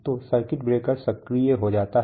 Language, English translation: Hindi, So the circuit breaker is actuated